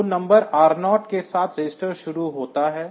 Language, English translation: Hindi, So, register starts with number R 0